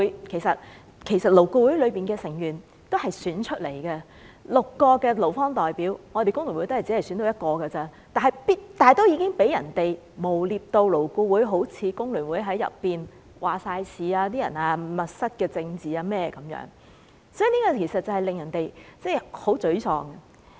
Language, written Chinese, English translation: Cantonese, 其實，勞顧會的成員也是經選舉產生，在6個勞方代表席位中，工聯會只佔一席，但已飽受誣衊，彷彿工聯會全面控制勞顧會，又引來"密室政治"等指控，令人十分沮喪。, In fact its members are selected by election . Of the six employee representatives of LAB only one is from FTU but even so FTU is defamed as if it had taken full control of LAB . There is also the allegation of closed - door politics etc